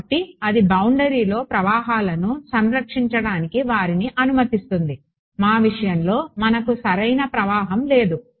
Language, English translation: Telugu, So, that allows them to conserve flows across a boundary in our case we do not have a flow alright